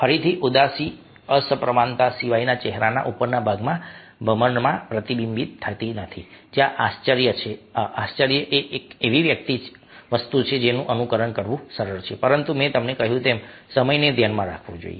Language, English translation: Gujarati, other than the asymmetrical, it, it doesnt get reflected in the upper ah part of the face, in the eyebrows, where surprise is something which is easy to ambulate, but, as i told you, they time may has to be kept in mind